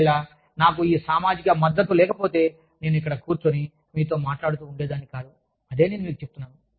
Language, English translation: Telugu, If, i did not have this social support, i would not have been sitting here, and talking to you, i am telling you